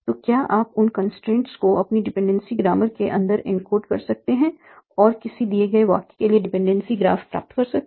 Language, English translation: Hindi, So can you encode those constraints inside your dependency grammar and obtain dependency graph for a given sentence